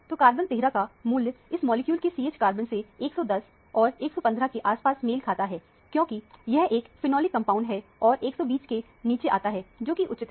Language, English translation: Hindi, So, the carbon 13 value for the CH carbons of this molecule correspond to 110 and 115 or so, because it is a phenolic compound and come much less than 120, which is justified